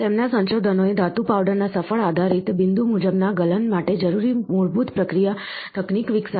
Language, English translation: Gujarati, Their research developed the basic processing technique necessary for successful based, point wise melting of the metal powder